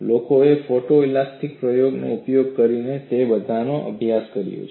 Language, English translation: Gujarati, People have studied all that using photo elastic experiments